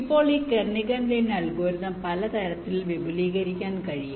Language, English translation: Malayalam, now this kernighan lin algorithm can be extended in several ways